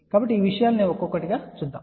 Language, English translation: Telugu, So, let us go through these things one by one again